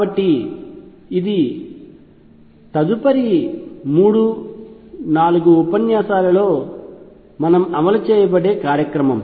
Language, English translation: Telugu, So, this is a program that will run over the next 3 4 lectures